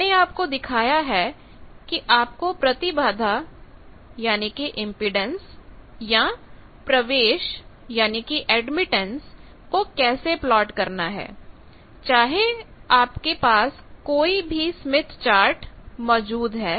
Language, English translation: Hindi, I have Shown you that how to plot any impedance or admittance on whatever smith chart available to you